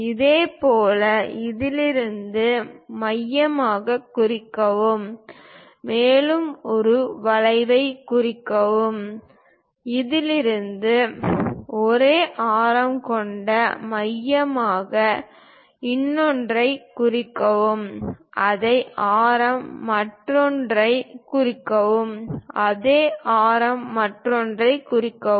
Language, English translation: Tamil, Similarly, mark from this one as centre; mark one more arc, from this one as centre with the same radius mark other one, with the same radius mark other one, with the same radius mark other one